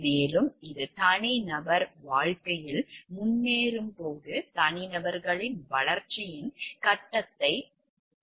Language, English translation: Tamil, And which is the based on the development stage of the individuals as the individual progresses in life